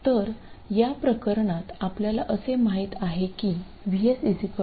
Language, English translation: Marathi, So, let me take a case where VS is 5